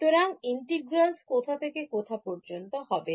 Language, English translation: Bengali, So, integrals form where to where